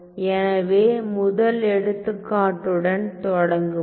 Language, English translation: Tamil, So, let me start with the first example